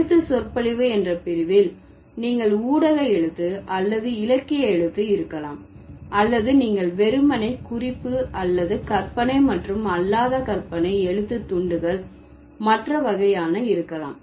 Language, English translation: Tamil, In the category of written discourse, you might have media writing or literary writing, or you can simply have the memoir or other kinds of fictional and non fiction writing pieces